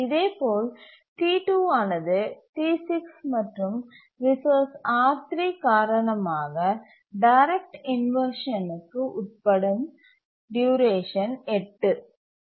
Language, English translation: Tamil, Similarly T2 has to undergo inversion, direct inversion on account of T6 and resource R3 for a duration of 8